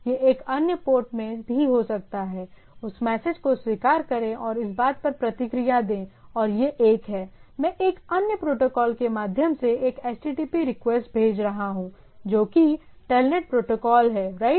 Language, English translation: Hindi, It could have been in other port also, accept that message and respond it back to the thing and its a, I am sending an HTTP sort of request through a other protocol that is a TELNET protocol, right